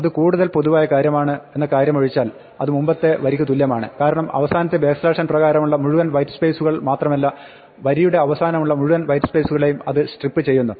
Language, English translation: Malayalam, This is an equivalent thing to the previous line except it is more general because strips all the white space not just by the last backslash n, but all the white spaces end of the line